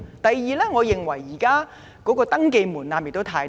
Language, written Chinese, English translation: Cantonese, 第二，我認為現時的登記門檻太低。, Second I consider the current threshold for registration to be too low